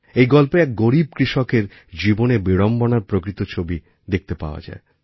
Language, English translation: Bengali, In this story, the living depiction of the paradoxes in a poor farmer's life is seen